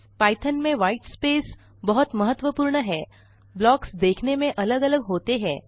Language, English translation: Hindi, In Python white space is significant, and the blocks are visually separated